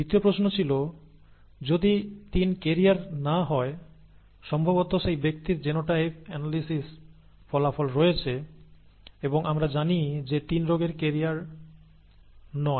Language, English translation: Bengali, The second question was; if 3 is not a carrier as, that is given probably the person has genotypic analysis analysis results and we know, we know that the 3 is not a carrier of the disease